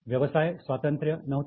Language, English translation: Marathi, So, there was no independence